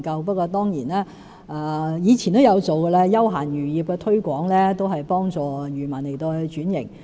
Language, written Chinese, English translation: Cantonese, 不過，我們以前也曾推廣休閒漁業，幫助漁民轉型。, Nevertheless we did promote recreational fisheries and assisted fishermen in transformation in the past